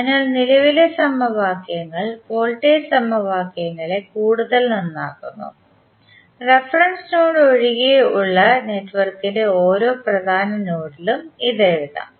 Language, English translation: Malayalam, So, the current equations enhance the voltage equations may be written at each principal node of a network with exception of reference node